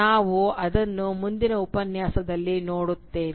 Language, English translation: Kannada, We will do that in the next Lecture